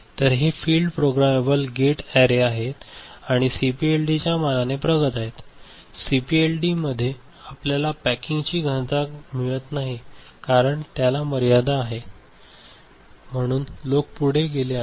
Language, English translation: Marathi, So, this field programmable gate array, so this is further you know advancement of CPLD, CPLD cannot provide much of a you know packing density and has got its limitations, so people have moved forward